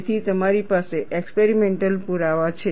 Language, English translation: Gujarati, So, you have an experimental evidence